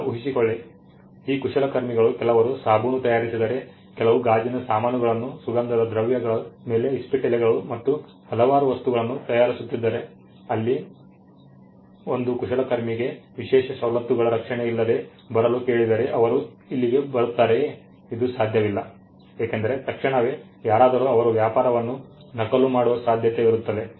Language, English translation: Kannada, Now imagine if these craftsman some of them made soap some of them made glassware some of them on perfumes playing cards n number of things, if the craftsman where asked to come without the protection of an exclusive privilege then they come in here and immediately they are trade gets copy is not it